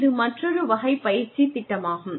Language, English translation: Tamil, That is another type of training program